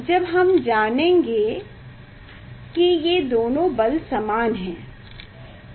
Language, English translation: Hindi, when we will know that these two force are equal, so we will know